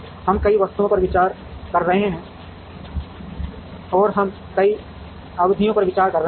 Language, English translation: Hindi, We are considering multiple items and we are considering multiple periods